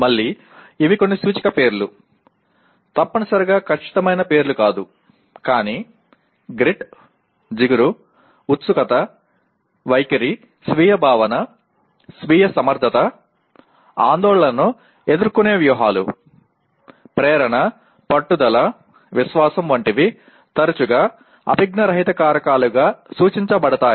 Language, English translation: Telugu, Again these are some indicative names, not necessarily exact names but grit, tenacity, curiosity, attitude self concept, self efficacy, anxiety coping strategies, motivation, perseverance, confidence are some of the frequently referred to as non cognitive factors